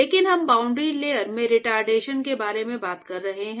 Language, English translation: Hindi, But we are talking about retardation in the boundary layer right